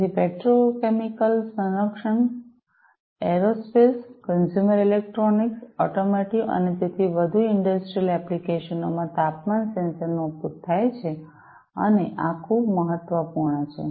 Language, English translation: Gujarati, So, temperature sensors are used in industrial applications such as petrochemical, defense, aerospace, consumer electronics, automotive, and so on, and these are very important